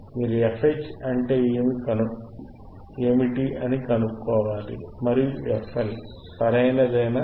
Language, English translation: Telugu, yYou have to find what is fH and what is f fL, right